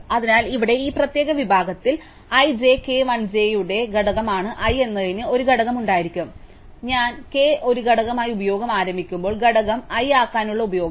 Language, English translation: Malayalam, So, here in this particular segment i, j, k, l which are the component to j, there use to be a component to i, i when i was initialize the use to be a component k, the use to be component l